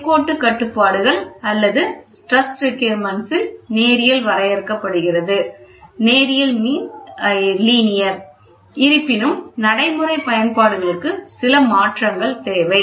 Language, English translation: Tamil, The linearity is limited by the linearity constraints or stress requirements; however, for practical applications, some modifications are required